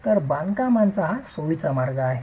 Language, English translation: Marathi, So, this is a convenient way of construction